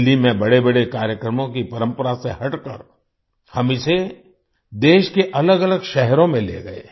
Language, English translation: Hindi, Moving away from the tradition of holding big events in Delhi, we took them to different cities of the country